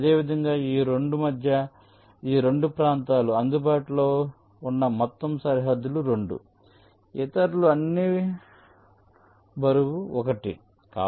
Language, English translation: Telugu, similarly, between these two, these two region, the whole boundaries available, that is two others are all weight one